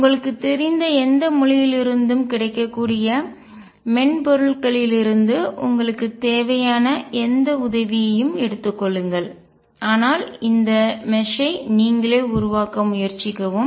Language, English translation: Tamil, Take whatever help you have from available softwares whatever language you know, but try to make this mesh yourself